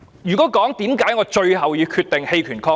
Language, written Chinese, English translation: Cantonese, 為何我最後決定棄權抗議？, Why do I finally decide to abstain from voting in protest?